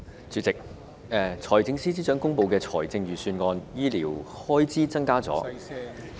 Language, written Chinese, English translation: Cantonese, 主席，在財政司司長公布的財政預算案中，醫療開支增加了......, President in the Budget announced by the Financial Secretary health care expenditures have increased